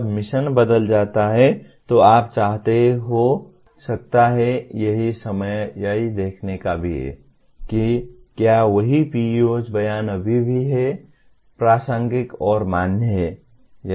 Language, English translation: Hindi, When the mission gets altered, you may want to, that is the time also to take a look at whether same PEO statements are still I consider relevant and valid